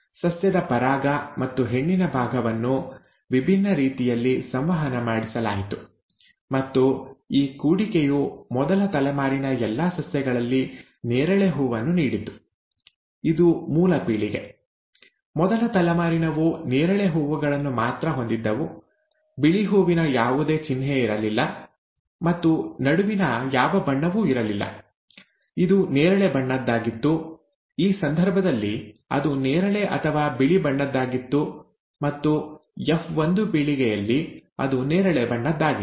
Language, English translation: Kannada, The pollen from and the female part of the plant were made to interact in different ways and this cross resulted in a purple flower in all the plants of the first generation; this is the parent generation; the first generation had only purple flowers, there was no sign of the white flower at all, and there was nothing in between; it was either purple, rather in this case, it was purple or white, and in the F1 generation, it was all purple